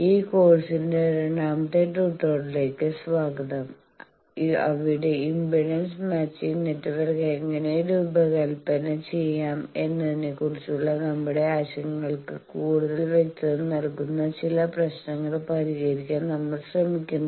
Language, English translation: Malayalam, Welcome to the second tutorial of this course, where we will be attempting to solve some problems that will clear our concepts that how to design Impedance Matching Network